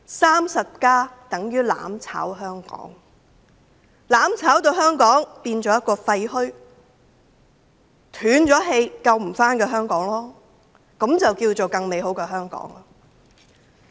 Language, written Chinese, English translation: Cantonese, "35+" 等於"攬炒"香港，令香港變為廢墟，成為一個斷了氣、無法救回的香港，這便叫做更美好的香港。, 35 means mutual destruction in Hong Kong turning Hong Kong into a dead irreparable city in ruins . This is so - called a better Hong Kong